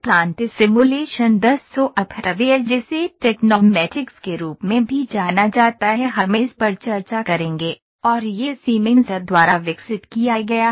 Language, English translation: Hindi, Plant simulation 10 software that is also known as Tecnomatix we will discuss this, and this is developed by Siemens